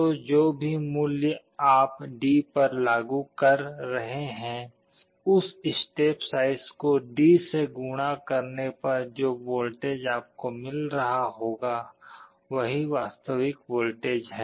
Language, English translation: Hindi, So, whatever value you are applying to D, that step size multiplied by D will be the actual voltage you will be getting